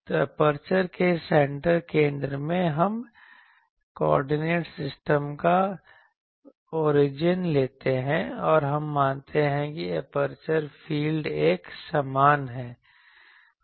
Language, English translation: Hindi, So, the center of the aperture that there we take the origin of the coordinate system and we assume that aperture field is uniform